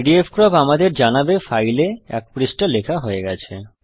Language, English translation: Bengali, Pdfcrop says one page written on this file